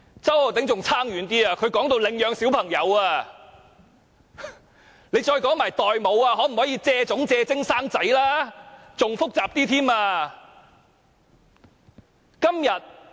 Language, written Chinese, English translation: Cantonese, 周議員說得更遠，他說到領養小朋友，不如再談論代母問題、可否"借種"、"借精"產子吧，那便可以令事情更加複雜。, Mr CHOW has gone even further by talking about adoption of children . He may as well talk about surrogacy or whether or not to allow the borrowing of genes or sperms for fertilization and that could make the whole issue more complicated